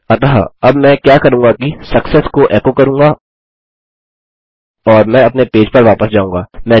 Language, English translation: Hindi, So now what Ill do is echo out success and Ill go back to my page